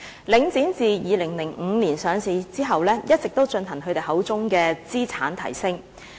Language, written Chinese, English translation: Cantonese, 領展自2005年上市後，一直也進行其口中的"資產提升"。, Since the listing of Link REIT in 2005 it has been carrying out what it calls asset enhancement